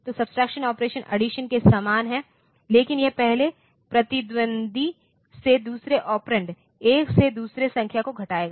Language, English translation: Hindi, So, the subtraction operation is similar to addition, but it will be subtracting the number, from one from the other the second operand from the first opponent